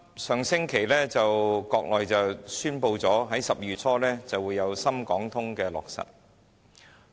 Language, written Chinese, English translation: Cantonese, 上星期，國內宣布"深港通"將於12月初落實。, Last week China announced that the Shenzhen - Hong Kong Stock Connect would be kicked off in early December